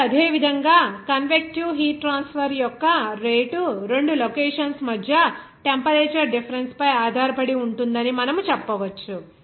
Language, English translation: Telugu, Now, the same way you can say that that rate of convective heat transfer depends on the temperature difference between two locations